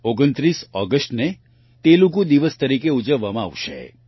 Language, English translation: Gujarati, 29 August will be celebrated as Telugu Day